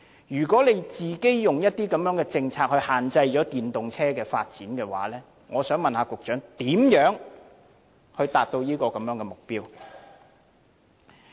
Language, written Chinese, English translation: Cantonese, 如果政府以自己的政策限制了電動車的發展，我想問局長如何達標？, If the Government is restricting the development of electric vehicles with its own policy I want to ask the Secretary how this target can be achieved